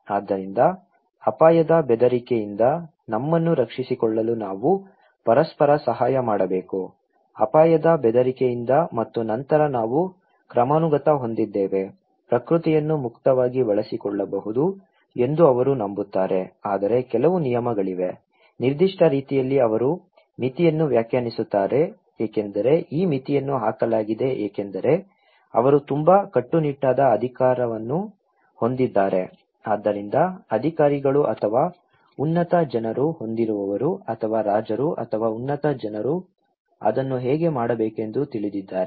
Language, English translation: Kannada, So, we have to help each other to protect as our self from the threat of hazard; from the threat of risk and then we have hierarchical okay, they believe that nature can be exploited freely but there is certain rules, particular way they define there is a limit of it, okay because this limit is put because they have a very strict authority so, the authorities or the higher people those who have or the Kings or the top people they know how to do it